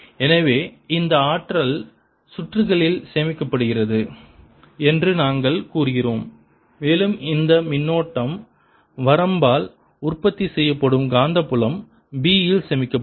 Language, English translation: Tamil, so we say this energy is stored in the circuit and we take it to be stored in the magnetic field b that is produced by this current finite